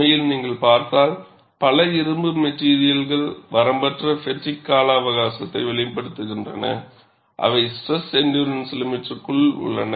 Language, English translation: Tamil, In fact, if you look at many ferrous materials exhibit unlimited fatigue life, provided that the stresses are within the endurance limit